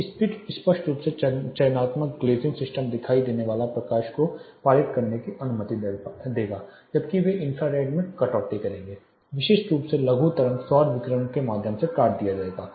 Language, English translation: Hindi, These spectrally selective glazing will permit the visible light to pass through while they will cut down the infrared especially the short wave solar radiation to be cut through